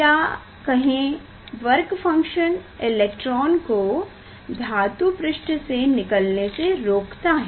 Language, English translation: Hindi, there is a work function which prevent electron to leave the metal surface